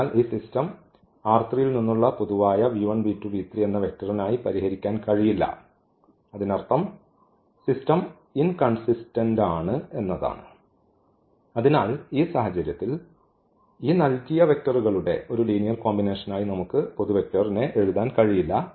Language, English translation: Malayalam, So, this system we cannot solve for general v 1 v 2 v 3 from R 3; that means, the system is inconsistent and hence we cannot write down in this case as a linear combination of these given vectors